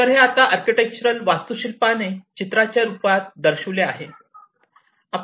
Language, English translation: Marathi, So, this is now architecturally shown over here in the form of a picture